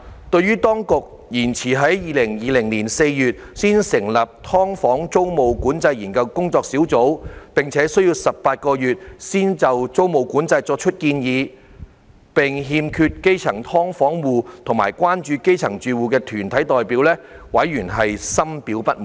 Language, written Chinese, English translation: Cantonese, 對於當局遲至2020年4月才成立的"劏房"租務管制研究工作小組，並需要18個月才就租務管制作出建議，並欠缺基層"劏房戶"及關注基層住屋團體的代表，委員深表不滿。, The Panel expressed great disappointment that the Administration only appointed the Task Force for the Study on Tenancy Control of Subdivided Units as late as in April 2020 and the Task Force would need another 18 months to make recommendations on tenancy control; and that its membership did not contain representatives of grass - roots households of subdivided units and concern groups on grass - roots housing